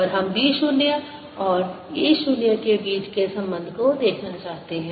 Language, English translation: Hindi, and we want to see the relationship between b zero and e zero